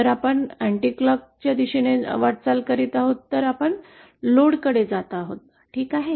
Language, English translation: Marathi, If we are moving in an anticlockwise direction then we are moving towards the load, ok